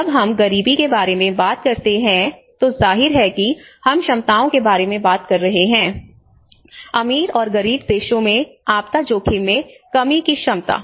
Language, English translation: Hindi, When we talk about poverty, obviously we are talking about the abilities and the capacities, the disaster risk reduction capacities in richer and poor countries